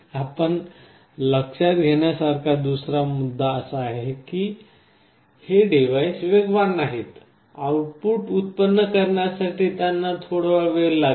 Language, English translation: Marathi, The other point you note is that these devices are not lightning fast; they take a little time to generate the output